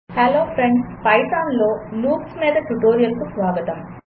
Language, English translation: Telugu, Hello Friends and Welcome to the tutorial on loops in Python